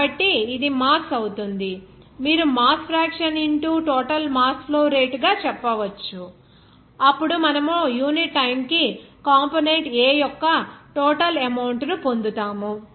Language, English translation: Telugu, So, this will be your mass, you can say mass fraction into total mass flow rate, then you will get here total amount of component A per unit time